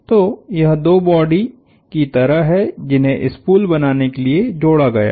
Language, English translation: Hindi, So, it is like two bodies that have been attached to make a spool